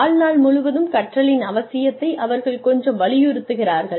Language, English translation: Tamil, They are emphasizing, the need for lifelong learning, quite a bit